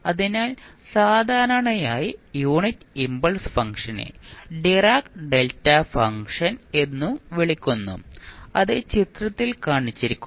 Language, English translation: Malayalam, So, generally the unit impulse function we also call as direct delta function and is shown in the figure